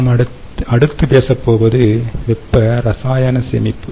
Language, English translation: Tamil, the next one that we are going to talk about is thermo chemical storage